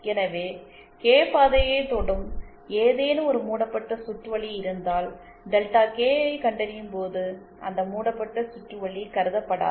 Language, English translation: Tamil, So, if we have any loop that is touching the Kth path, then that loop will not be considered while finding out Delta K